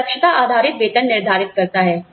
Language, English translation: Hindi, It determines the competency based pay